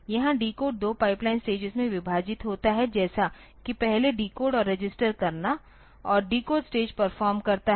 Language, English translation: Hindi, Here the decode is a split into two pipeline stages as earlier to decode and register and decode stage performs